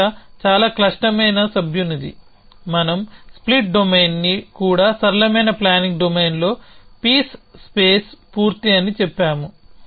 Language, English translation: Telugu, The problem is hard member we said that even the split domain the simplest planning domain is piece space complete essentially